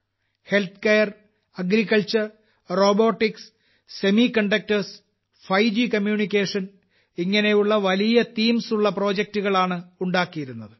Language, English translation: Malayalam, Healthcare, Agriculture, Robotics, Semiconductors, 5G Communications, these projects were made on many such themes